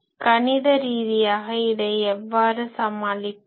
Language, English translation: Tamil, So mathematically, how to tackle this